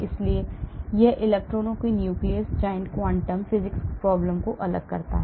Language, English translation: Hindi, so it differentiates electrons nucleus, giant quantum physics problem